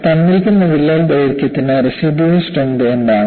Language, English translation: Malayalam, For a given crack length, what is the residual strength